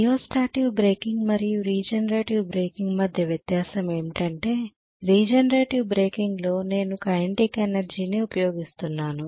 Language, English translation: Telugu, Only difference between rheostatic breaking and regenerative breaking is, regenerative breaking I am utilizing the kinetic energy